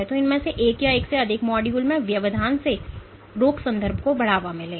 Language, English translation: Hindi, So, either disruption in one or more of these modules will lead to disease context